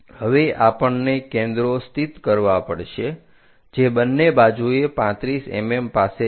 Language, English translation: Gujarati, Now, we have to locate foci which is at 35 mm on either side